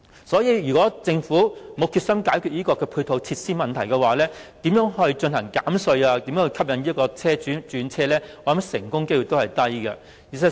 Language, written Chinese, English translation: Cantonese, 所以若政府沒有決心解決配套設施問題，純粹透過減稅吸引車主轉用電動車，成功機率是低的。, If the Government does not have the determination to tackle the problem associated with the charging facilities for EVs the tax reduction alone can hardly attract owners to switch to EVs